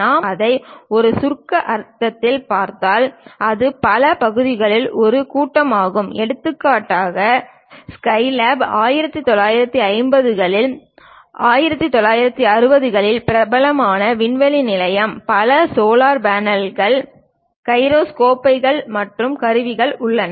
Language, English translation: Tamil, If we are looking at that in abstract sense, it contains assembly of many parts for example, the SkyLab the 1950s, 1960s famous space station contains many solar panels, gyroscopes and instruments